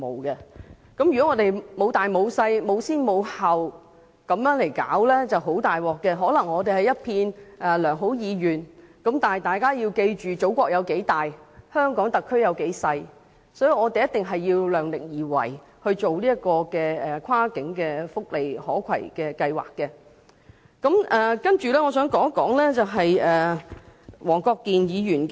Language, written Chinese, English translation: Cantonese, 如果我們不分輕重先後來處理，便會出現很大問題，可能是空有良好意願，因為大家要記住祖國有多大，而香港特區又有多小，所以我們在進行跨境福利可攜計劃時必須量力而為。, If we do not set our priorities we may be in great troubles despite our good intentions . Bearing in mind of how big our mother country is and how small the Hong Kong SAR is we have to act in accordance with our capacity when implementing the cross - boundary portability programme for welfare benefits